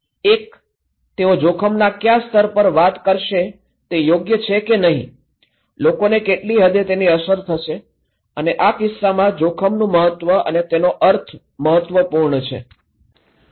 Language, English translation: Gujarati, One is, what is they will talk is the level okay, it’s level of risk, what extent people will be affected and the significance and the meaning of risk is important content